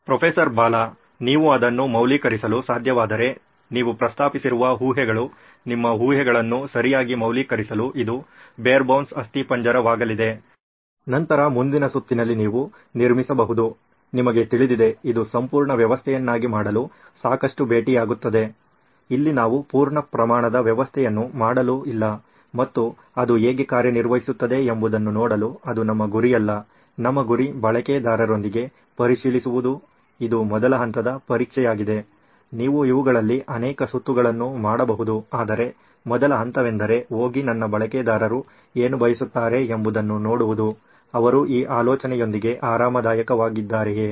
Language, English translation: Kannada, The assumptions that you have mentioned if you can validate that, whatever you need to validate that, so this is going to be barebones skeleton just to validate your assumptions okay, then the next round you can sort of build, you know give it enough meet to make it a complete system, here we are not there to make a full fledged system and see how it works that is not our aim, our aim is to check with the users this is the first level of testing, you can do multiple rounds of these but the first level is to just go and see what is it that my users want, are they comfortable with this idea